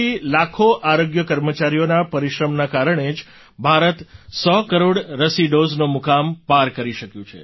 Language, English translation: Gujarati, It is on account of the hard work put in by lakhs of health workers like you that India could cross the hundred crore vaccine doses mark